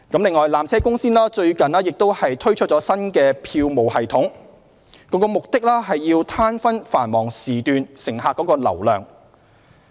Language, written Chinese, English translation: Cantonese, 此外，纜車公司最近剛推出新的票務系統，旨在攤分繁忙時段乘客流量。, In addition PTC has recently launched a new ticket sales programme aimed at making the visitor demand more even